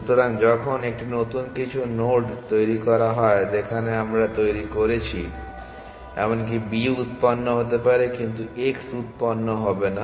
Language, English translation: Bengali, So, when a is generated some new nodes where we generated may be even b may be generated, but x would not be generated